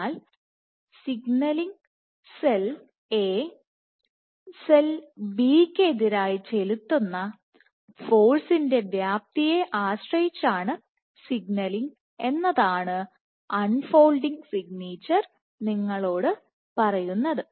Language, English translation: Malayalam, So, the unfolding signature tells you that signaling will depend on the magnitude of forces exerted by cell A versus cell B ok